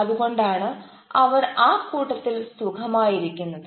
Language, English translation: Malayalam, so that is why they are comfortable